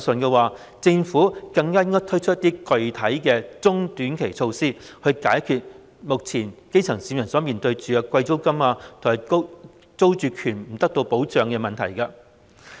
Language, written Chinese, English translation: Cantonese, 既然如此，政府更應推出具體的中短期措施，解決基層市民目前面對租金高昂和租住權不受保障的問題。, Given this it has become all the more necessary for the Government to introduce specific short - and medium - term measures to address the problems of high rents and security of tenure not being protected currently faced by the grass roots